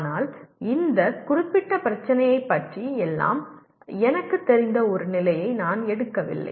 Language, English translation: Tamil, But I do not take a position I know everything about this particular problem